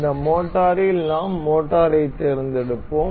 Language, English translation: Tamil, In this motor, we will select we will select motor